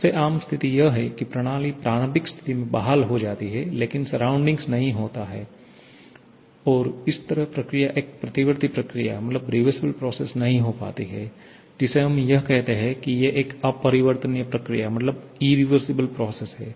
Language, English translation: Hindi, The most common situation is the system gets restored to the initial situation but the surrounding does not and thereby the process is not a reversible one what we call is an irreversible process